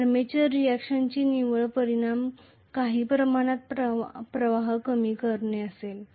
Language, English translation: Marathi, The net effect of armature reaction would be to reduce the flux to certain extent